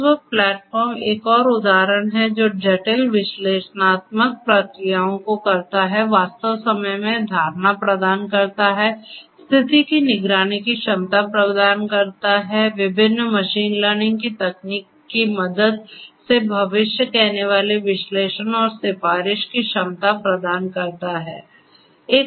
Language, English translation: Hindi, ThingWorx platform is another example which performs complex analytical processes, deliver real time perception, offers the ability of condition monitoring, offers the ability of predictive analytics and recommendation with the help of different machine learning techniques